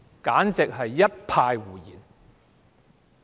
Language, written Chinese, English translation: Cantonese, 簡直是一派胡言。, It is simply nonsense